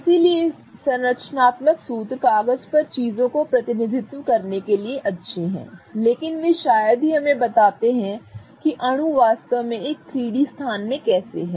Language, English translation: Hindi, So, structural formulas are good to represent things on paper but they hardly tell us how the molecule really is in a 3D space